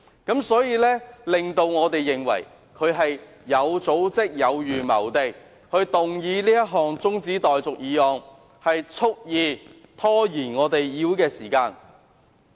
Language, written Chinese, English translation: Cantonese, 因此，我們認為他是有組織、有預謀地提出中止待續議案，蓄意拖延立法會會議時間。, Hence we believe this adjournment motion is an organized and premeditated action intended to deliberately delay the proceedings of the Legislative Council